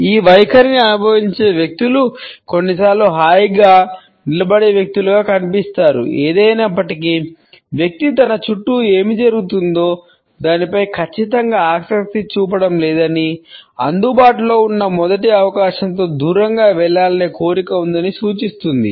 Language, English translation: Telugu, People adopting this stand sometimes come across as comfortably standing people; however, it suggest that the person is not exactly interested in what is happening around him or her rather has a desire to move away on the first available opportunity